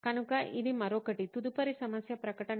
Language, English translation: Telugu, So that would be another, the next problem statement